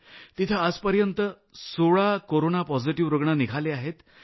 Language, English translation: Marathi, Here till date, 16 Covid 19 positive cases have been diagnosed